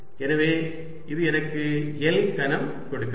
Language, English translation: Tamil, so this gives me l cubed